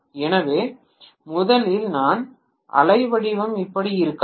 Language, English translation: Tamil, So originally maybe my wave form was like this